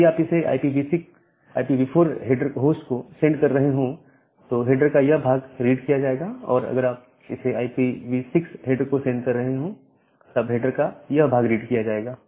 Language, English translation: Hindi, Now, if you are sending it to IPv4 host these part of the header will be read, if you are sending it to the IPv6 header this part of the header will be read out